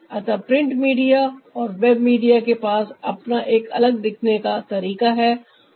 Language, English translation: Hindi, so the print media and a web media has their different approach of appearance